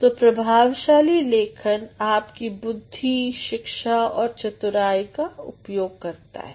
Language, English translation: Hindi, So, effective writing utilizes one's intelligence, education and also critical thinking skills